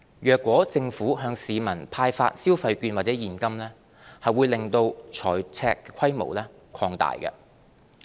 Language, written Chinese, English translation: Cantonese, 若政府向市民派發消費券或現金，會令財赤規模擴大。, Issuing consumption vouchers or handing out cash to the public will lead to an increase in the fiscal deficit